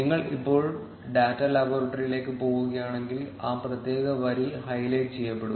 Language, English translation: Malayalam, If you go to the data laboratory now, that particular row will be highlighted